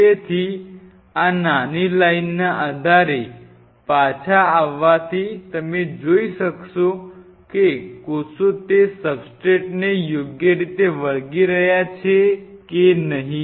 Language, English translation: Gujarati, So, coming back based on these small queues you can you will be able to figure out whether the cells are properly adhering on that substrate or not